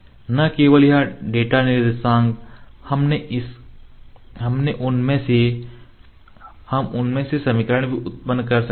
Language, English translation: Hindi, Not only this data the coordinates we can also generate the equation out of them